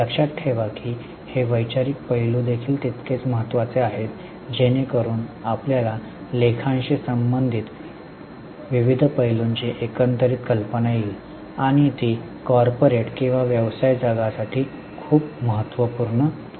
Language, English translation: Marathi, Keep in mind this conceptual aspects are equally important so that you get overall idea of various aspects related to accounting and they are very much important for the corporate or business world